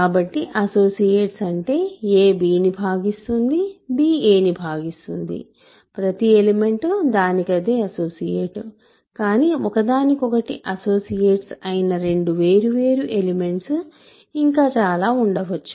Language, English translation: Telugu, So, associates means a divides b, b divides a of course, every element is an associate of itself, but there could be more two different elements which are associates of each other